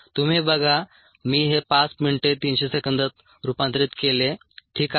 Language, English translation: Marathi, we see that i have converted this five minutes into three hundred seconds